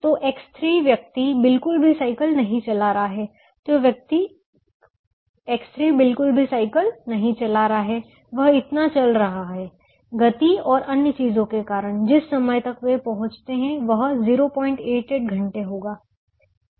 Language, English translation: Hindi, so the person x three is not, ah, cycling at all, is walking that larger because of the speeds and so on, and the time at which they reach would be point eight, eight hours